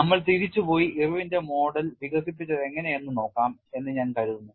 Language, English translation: Malayalam, I think, we will go back and then see how the Irwin’s model was developed